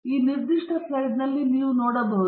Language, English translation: Kannada, We can see in this particular slide